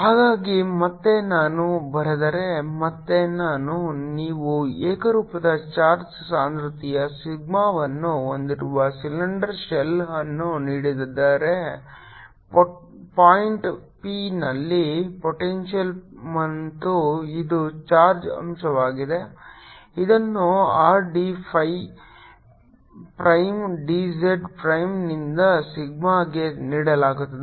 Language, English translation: Kannada, so again, if i write, if i, again, if you are given a cylinder shell having information density sigma, so potential at point p, and this is the charge element which is given by r, t, phi, prime, d, z, prime into sigma, so this is a charge element